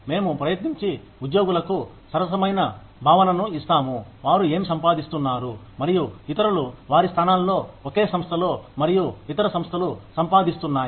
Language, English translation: Telugu, We try and give the employees, a sense of fairness, regarding, what they are earning, and what others in their positions, within the same organization, and in other organizations, are earning